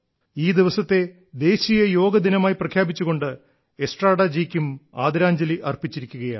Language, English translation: Malayalam, By proclaiming this day as National Yoga Day, a tribute has been paid to Estrada ji